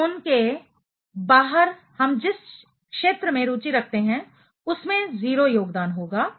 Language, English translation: Hindi, , outside the zone we are interested in should contribute to 0